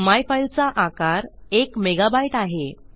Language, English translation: Marathi, myfile is actually a mega byte